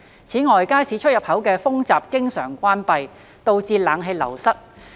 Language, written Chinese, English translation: Cantonese, 此外，街市出入口的風閘經常關閉，導致冷氣流失。, In addition the air curtains at the entrancesexits of the market are often turned off resulting in cool air flowing away